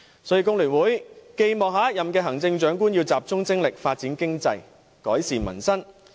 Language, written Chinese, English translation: Cantonese, 所以，工聯會寄望下一任行政長官集中精力發展經濟，改善民生。, For these reasons FTU hopes that the next Chief Executive can give focused attention to economic development and improving peoples livelihood